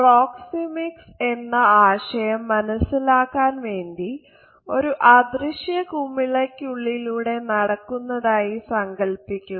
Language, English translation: Malayalam, The idea of proxemics can be understood by suggesting that we walk within an invisible bubble